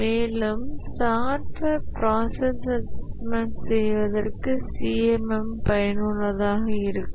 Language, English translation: Tamil, But then the CMM also is useful for doing a software process assessment